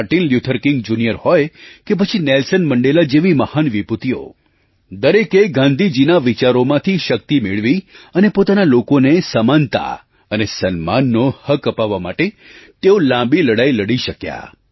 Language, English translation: Gujarati, Martin Luther King and Nelson Mandela derived strength from Gandhiji's ideology to be able to fight a long battle to ensure right of equality and dignity for the people